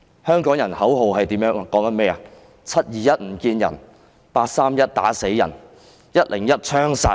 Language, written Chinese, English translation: Cantonese, 香港人的口號是 ，"721 不見人 ，831 打死人 ，101 槍殺人"。, A chant among Hong Kong people is No police officer seen on 21 July people beaten dead on 31 August and people shot dead on 1 October